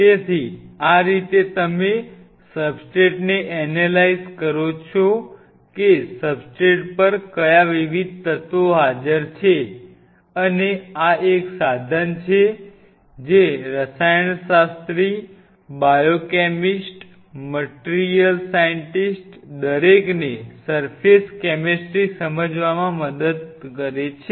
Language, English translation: Gujarati, So, this is how you analyse a substrate that what all different elements which are presenting on a substrate and this is one powerful tool which help chemist, biochemist, material scientist everybody to understand the surface chemistry